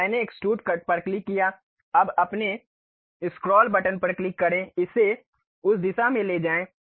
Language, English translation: Hindi, So, I clicked Extrude Cut, now click your scroll button, move it in that direction